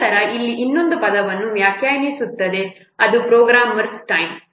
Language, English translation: Kannada, Then another what term will define here, that is the programmer's time